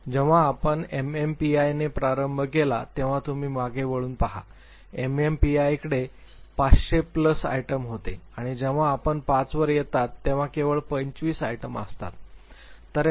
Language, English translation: Marathi, Now you just look back when we started with MMPI, MMPI had 500 plus items and when you come to big 5 it has only 25 items